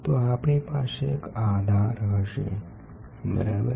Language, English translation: Gujarati, So, we will have a base, ok